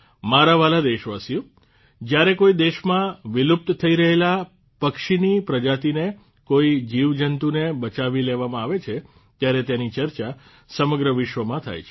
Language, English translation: Gujarati, My dear countrymen, when a species of bird, a living being which is going extinct in a country is saved, it is discussed all over the world